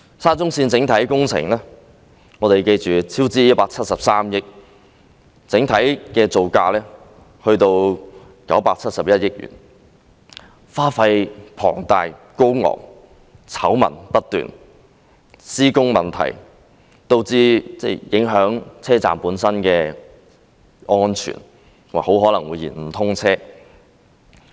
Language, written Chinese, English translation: Cantonese, 沙中線的整體工程超支173億元，整體造價高達971億元，花費龐大，醜聞不斷，施工問題導致影響車站的安全，並很可能會延誤通車。, The construction of SCL has incurred a cost overrun of 17.3 billion overall and the total construction costs are as high as 97.1 billion . Exorbitant costs are involved and yet scandals have never ceased and problems in the construction works have compromised the safety of stations and will likely delay the commissioning of SCL